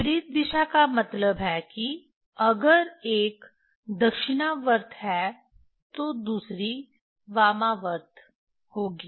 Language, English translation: Hindi, Opposite direction means if one is clockwise, other one would be anticlockwise